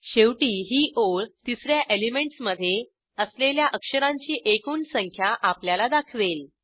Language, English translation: Marathi, Lastly, this line displays the number of characters present in the 3rd element